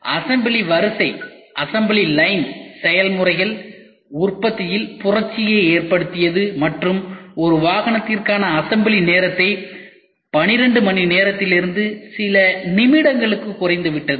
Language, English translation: Tamil, The assembly line processes revolutionized production and dropped the assembly time for a single vehicle from 12 hours to few minutes